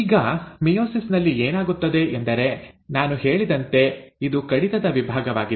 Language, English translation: Kannada, Now in meiosis, what happens is, there are, as I said, it is a reduction division